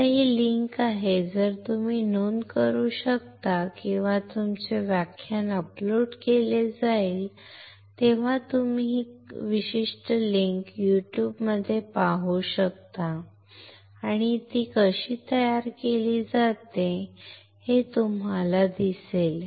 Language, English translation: Marathi, Now, this is the link, if you guys can note down or when you the lecture is uploaded you can see this particular link in a YouTube and you will see how it is manufactured